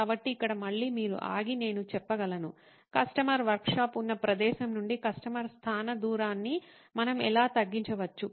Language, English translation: Telugu, So here again you could stop and say can I, how might we actually decrease the customer location distance from where his workshop was